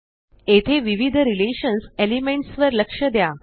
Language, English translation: Marathi, Notice the various relation elements here